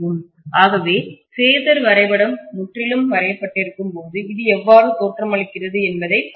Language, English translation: Tamil, So let us try to take a look at exactly how this looks when we are having the phasor diagram completely drawn